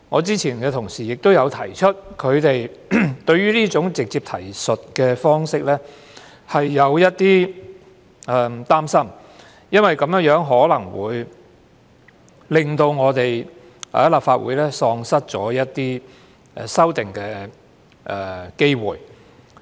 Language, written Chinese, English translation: Cantonese, 之前同事亦有提出，他們對於這種直接提述方式感到有點擔心，因為這樣可能會令立法會喪失修訂的機會。, As some colleagues pointed out earlier they are a little concerned about this direct reference approach because it may take away the opportunity for the Legislative Council to amend ordinances